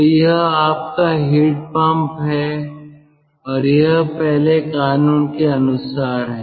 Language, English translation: Hindi, so this is your heat pump and it is according to first law